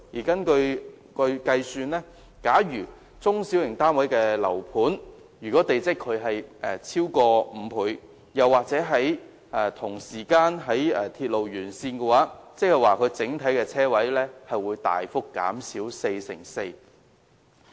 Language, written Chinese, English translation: Cantonese, 根據計算，假如中小型單位的樓盤的地積比率超過5倍，又或同時間在鐵路沿線，該樓盤的整體車位數目會大幅減少四成四。, Based on this calculation if the domestic plot ratio of a small and medium - sized residential development is greater than 5.00 and if the property is proximate to railway links the number of parking spaces in the development will be substantially reduced by 44 %